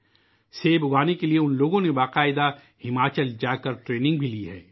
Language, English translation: Urdu, To learn apple farming these people have taken formal training by going to Himachal